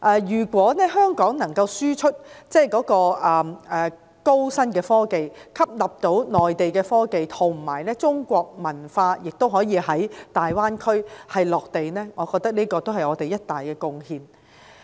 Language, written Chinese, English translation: Cantonese, 如果香港能夠輸出高新科技，並吸納內地科技，讓中國文化在大灣區着地，我覺得是我們的一大貢獻。, I think it will be our major contribution if Hong Kong can enable the Chinese culture to reach the Greater Bay Area more deeply by exporting high technologies and absorbing the high and new technologies developed by the Mainland